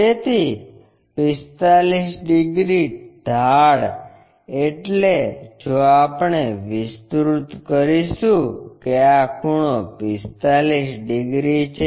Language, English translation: Gujarati, So, 45 degrees inclination means, if we are going to extend that this angle is 45 degrees